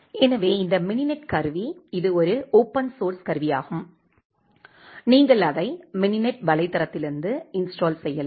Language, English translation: Tamil, So, this mininet tool you can this is a open source tool, you can install it from the mininet website